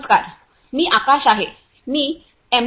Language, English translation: Marathi, Hi, I am Akash; I am M